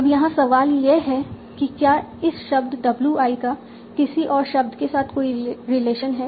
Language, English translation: Hindi, So the question here is, can this for WI have any more relations with any words